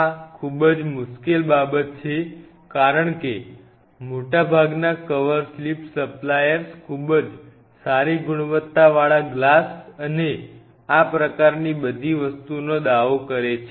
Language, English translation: Gujarati, This is something very tricky because most of the cover slips suppliers they will claim that you know a very good quality glass and all these kinds of things